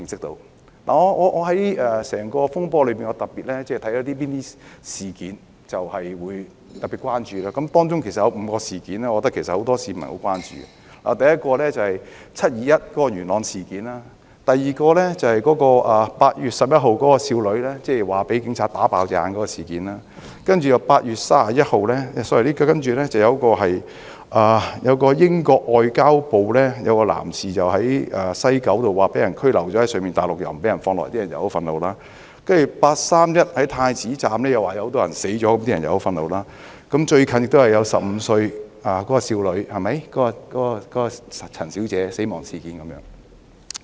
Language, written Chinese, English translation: Cantonese, 在整個風波中，我特別關注一些事件，而當中有5宗事件，是很多市民甚為關注的，第一宗是"七二一"元朗事件；第二宗是8月11日少女據稱被警員開槍"打爆眼"的事件；然後有一位在英國駐港領事館工作的男士據報在西九龍站被中方拘留後帶往內地，不獲釋放，令人感到憤慨；接着是據稱8月31日在太子站內有很多人死亡，引起公憤；最近亦有一宗15歲少女陳小姐的死亡事件。, The second one is the incident of a young woman allegedly shot in the eye by the Police on 11 August . Then it was reported that a man working for the British Consulate - General Hong Kong after being detained by China at the West Kowloon Station was taken to the Mainland and not released causing peoples indignation . Afterwards there was the allegation that a lot of people died in the Prince Edward Station on 31 August arousing public wrath